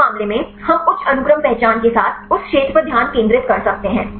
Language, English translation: Hindi, In this case, we can focus on that region with the high sequence identity